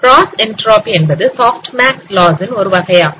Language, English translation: Tamil, So cross entropy loss is also another form of soft max loss